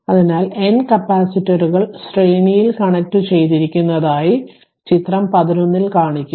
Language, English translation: Malayalam, So, figure 11 shows n number of capacitors are connected in series